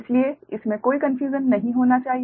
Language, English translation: Hindi, so there should not be very confusion